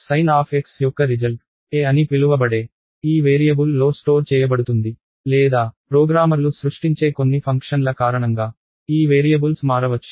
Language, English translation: Telugu, The result of sine of x will be stored in this variable called a or this variables can change due to some functions itself, which the programmers create